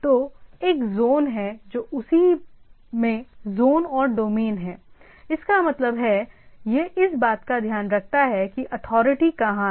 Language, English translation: Hindi, So, there is one zone this is zone and domain in the same so; that means, it takes care of that where the authority is there